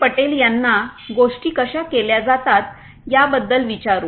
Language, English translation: Marathi, Patel about exactly how things are done